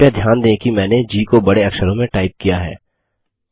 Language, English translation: Hindi, Please notice that I have typed G in capital letter